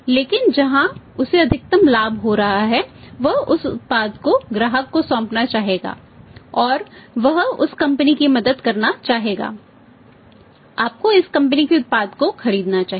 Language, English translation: Hindi, But where he is having the maximum benefit you would like to put that product to the customer and he would like to help the company that you buy this company's product